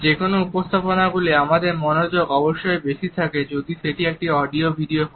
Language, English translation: Bengali, In presentations our attention is definitely more if it is an audio video one